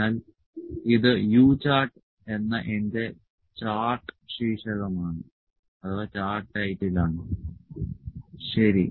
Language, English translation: Malayalam, So, this is my if it is chart title, this is my U chart, ok